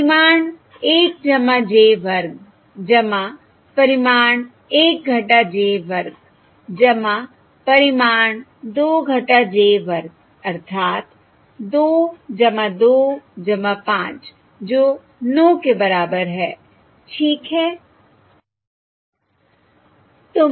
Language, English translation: Hindi, minus two j, into one plus two j is magnitude one plus two j square, which is five divided by fourteen, equals two over nine times